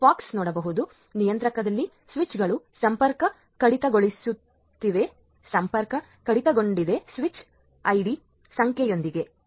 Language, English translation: Kannada, So, in the left hand side you can see at the POX controller it is detected that the switches are disconnecting so, disconnected with the switch id number